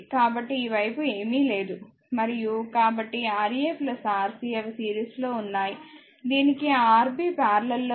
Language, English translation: Telugu, So, this side nothing is there right and so, Ra plus Rc they are in series along with that Rb in parallel